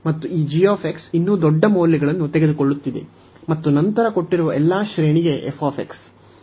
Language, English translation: Kannada, And also this g x is taking even larger values then f x for all the given range